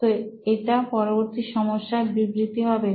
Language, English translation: Bengali, So that would be another, the next problem statement